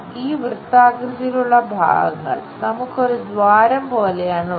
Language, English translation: Malayalam, These circular portions what we have like a hole